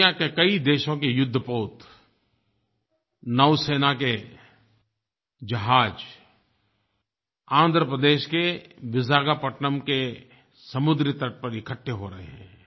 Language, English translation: Hindi, Warships, naval ships of many countries are gathering at the coastal region of Vishakapatnam, Andhra Pradesh